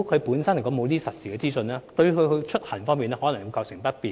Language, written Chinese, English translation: Cantonese, 沒有實時資訊，對他出行可能會構成不便。, The lack of real - time information may cause inconvenience to their trips